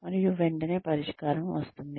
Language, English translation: Telugu, And immediately, the solution comes up